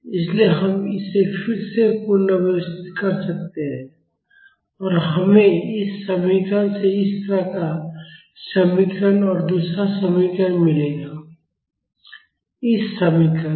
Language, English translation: Hindi, So, we can rearrange this again and we will get an expression like this from this equation and another expression from this equation